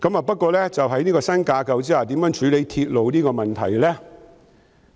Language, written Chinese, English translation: Cantonese, 不過，在新架構下如何處理鐵路的問題？, Having said that how should the issue of railways be addressed under the new structure?